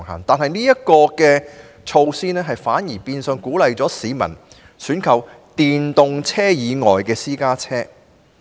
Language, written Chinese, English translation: Cantonese, 但是，這措施反而變相鼓勵市民選購電動私家車以外的私家車。, However the measure has conversely encouraged the purchase of PCs other than e - PCs